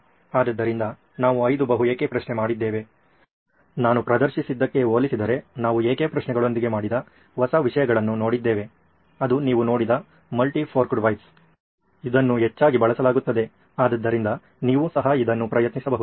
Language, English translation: Kannada, So we did the five whys, we saw new things that we did with the whys the n compared to what I had demonstrated, that was the multi forked whys that you saw, that is often used also, so you could try that as well